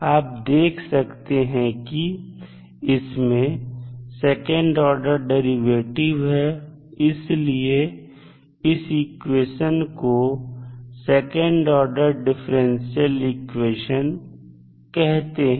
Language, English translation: Hindi, So, now if you see the equation as a second order derivative so that is why it is called as a second order differential equation